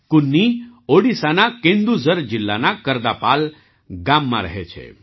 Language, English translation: Gujarati, Kunni lives in Kardapal village of Kendujhar district of Odisha